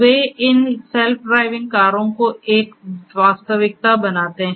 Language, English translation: Hindi, They make these the self driving cars a reality